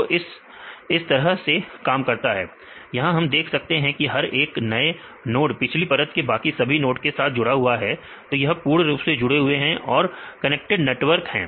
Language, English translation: Hindi, So, this how it works; now we can see the each node is connected to all node in the preceding layer; this is the connected networks, it is fully connected